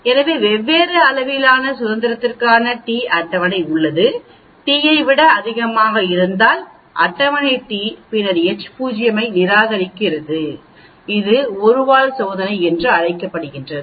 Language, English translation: Tamil, So there is a table t for different degrees of freedom accept H naught, if t is greater than t then the table t then reject H naught this is called the, of course we are using 1 tail test